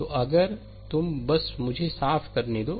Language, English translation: Hindi, So, just if you just let me clean it